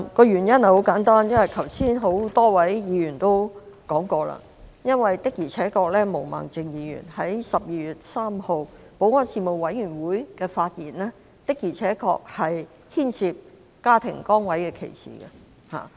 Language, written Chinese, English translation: Cantonese, 原因很簡單，多位議員剛才已指出，就是毛孟靜議員在12月3日保安事務委員會的發言的確牽涉家庭崗位歧視。, The reason is very simple . As pointed out by many Members just now the remarks made by Ms Claudia MO at the meeting of the Panel on Security on 3 December indeed involved family status discrimination